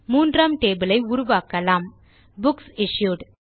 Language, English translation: Tamil, And let us create the third table: Books Issued